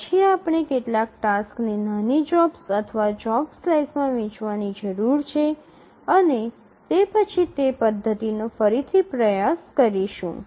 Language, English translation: Gujarati, So, then we need to divide some tasks into smaller jobs or job slices and then retry the methodology